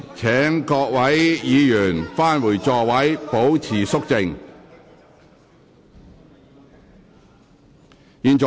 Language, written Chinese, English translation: Cantonese, 請各位議員返回座位，保持肅靜。, Will Members please return to their seats and keep quiet